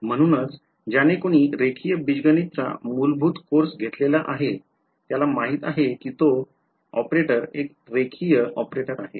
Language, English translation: Marathi, So, anyone who has taken a basic course in linear algebra knows that the operator is a linear operator